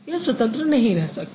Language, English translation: Hindi, Because it can stand independently